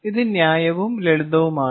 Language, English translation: Malayalam, fair and simple, right